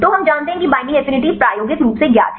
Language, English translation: Hindi, So, we know the binding affinity experimentally known right